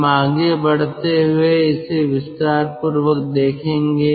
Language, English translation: Hindi, we will see it in details as we proceed